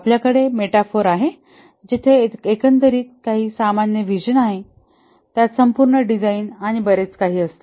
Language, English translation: Marathi, Of course, we have the metaphor where there is some common vision, overall design and so on